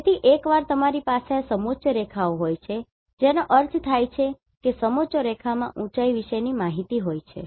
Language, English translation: Gujarati, So, once you have this contour lines that means, that contours are having the height information